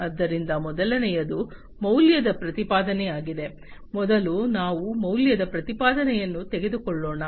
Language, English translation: Kannada, So, the first one is the value proposition, let us take up the value proposition first